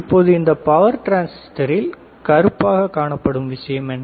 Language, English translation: Tamil, Now, this power transistor this black thing, what is this black thing